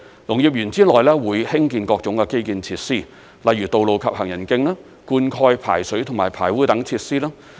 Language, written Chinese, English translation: Cantonese, 農業園之內會興建各種的基建設施，例如道路及行人徑、灌溉、排水及排污等設施。, The Park is expected to provide about 80 hectares of farmland with different types of infrastructural facilities such as access roads and footpaths irrigation drainage sewerage etc